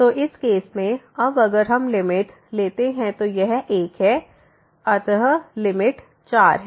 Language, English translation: Hindi, So, in this case now if we take the limit this is 1 and here 2 plus 2 so will become 4